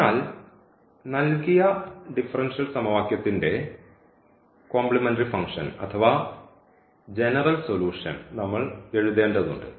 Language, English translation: Malayalam, So, we need to write down the complementary function or the general solution of the given differential equation, so first this repeated root case